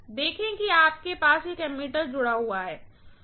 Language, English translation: Hindi, See you have an ammeter connected